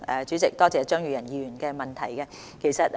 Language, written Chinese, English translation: Cantonese, 主席，多謝張宇人議員的補充質詢。, President I thank Mr Tommy CHEUNG for his supplementary question